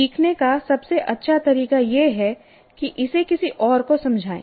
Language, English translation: Hindi, So the best way to learn is to explain it to somebody else